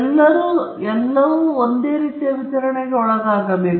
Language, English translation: Kannada, They should all come under same distribution